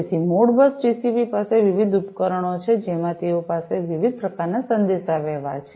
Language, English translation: Gujarati, So, ModBus TCP has different, you know, different types of communication, in the different devices that they have